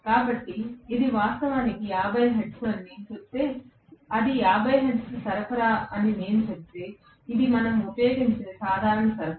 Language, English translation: Telugu, So, if I say that it is actually 50 hertz, right, if I say it is a 50 hertz supply, which is the normal supply what we use